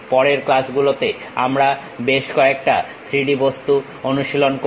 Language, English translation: Bengali, We will practice couple of 3D objects also in the later classes